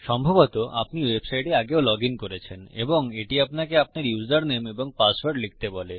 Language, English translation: Bengali, Youve probably logged into a website before and it said to enter your username and password